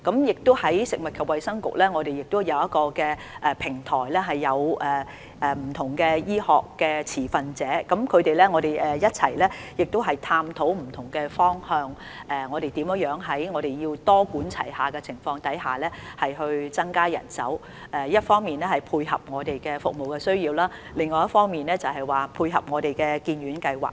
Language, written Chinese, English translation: Cantonese, 此外，食物及衞生局亦已設立平台，讓不同的醫學持份者一同探討不同方向，以多管齊下的方式增加人手，一方面配合服務需求，另一方面配合當局的發展計劃。, Besides the Food and Health Bureau has also set up a platform so that stakeholders in different medical disciplines can join hands in exploring various directions for increasing manpower under a multi - pronged approach so as to meet service demand on the one hand and dovetail with the authorities development plans on the other